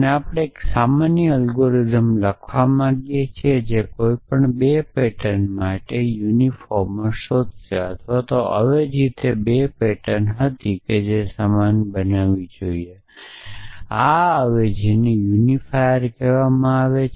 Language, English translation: Gujarati, And we want to write a general algorithm which will find a unifier for any 2 patterns or a substitution was those 2 patterns which should make it a same this substitution is called a unifier